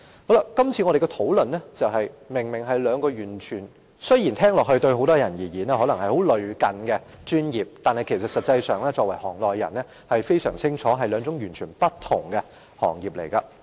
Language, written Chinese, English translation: Cantonese, 我們今天討論的兩個專業，雖然對於很多人來說相當類近，但作為行內人，我們相當清楚這是兩個完全不同的行業。, Although many people consider the two specialties under our discussion today very similar we as members of the profession are fully aware that they belong to two entirely different professions